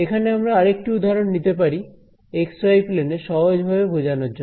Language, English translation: Bengali, Now here is another example this is in the x y plane so, let us draw the x y plane over here